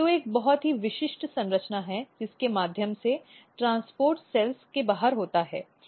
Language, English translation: Hindi, So, basically there is a very specialized structure which is called tube and the transport occurs outside the cells